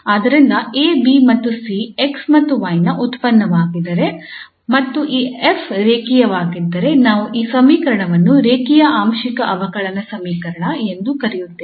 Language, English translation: Kannada, So if A, B and C are the functions of x and y and this F is linear then we call this equation a linear partial differential equation